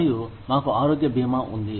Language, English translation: Telugu, And, we have health insurance